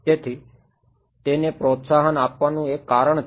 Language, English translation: Gujarati, So, it is one reason to promote it